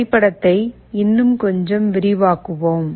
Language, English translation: Tamil, Let us expand the diagram a little bit more